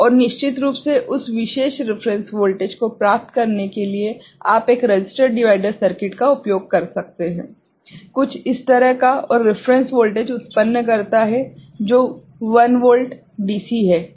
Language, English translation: Hindi, And to get that particular reference voltage of course, you can use a resistor divider circuit, something like this right and generate reference voltage which is 1 volt DC ok